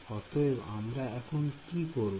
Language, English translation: Bengali, So, what do I do now